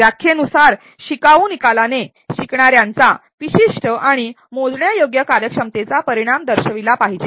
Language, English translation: Marathi, By definition learner outcome should indicate specific and measurable performance outcome of a learner